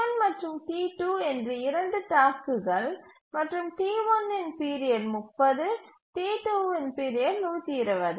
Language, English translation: Tamil, The T1 and T2 are two tasks and T1's period is 30, T2 period is 120